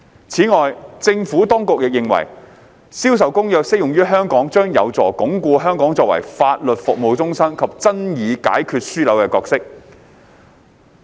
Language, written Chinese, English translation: Cantonese, 此外，政府當局亦認為《銷售公約》適用於香港，將有助鞏固香港作為法律服務中心及爭議解決樞紐的角色。, In addition the Administration was of the view that the application of CISG to Hong Kong would help to reinforce Hong Kongs role as a centre for legal services and a dispute resolution hub